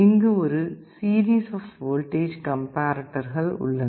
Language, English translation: Tamil, And there are a series of voltage comparators